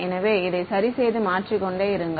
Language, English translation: Tamil, So, keep this fixed and keep changing